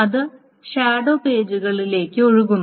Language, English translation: Malayalam, So that is being flushed to the shadow pages